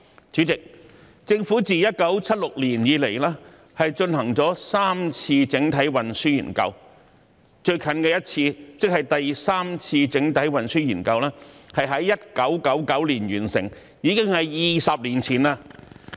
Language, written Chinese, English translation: Cantonese, 主席，政府自1976年以來，進行了3次整體運輸研究，最近的一次，即第三次整體運輸研究，是在1999年完成，已經是20年前。, President the Government has conducted three overall transport studies since 1976 . The most recent one the Third Comprehensive Transport Study was completed in 1999 two decades ago